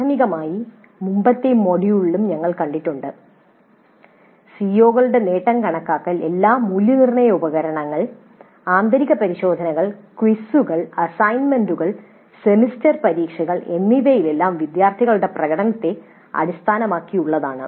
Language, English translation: Malayalam, Primarily we have seen earlier in the earlier module also that computing attainment of COs is based on students performance in all the assessment instruments, internal tests, quizzes, assignments, semester examinations